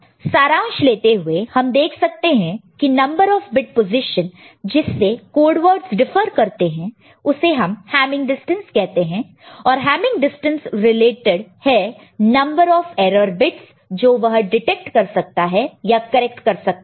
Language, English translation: Hindi, So to conclude: we can see that the number of bit positions by which the code words differ called is called Hamming distance and the Hamming distance is related to number of bits it can detect as erroneous or number of bit it can correct as erroneous; I mean erroneous bit it can correct, ok